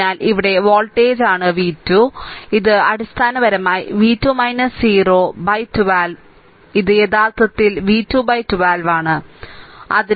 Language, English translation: Malayalam, So, it is voltage here is v 2 so, it will basically v 2 minus 0 by 12, so, that means, it is actually v 2 by 12 this is your i 1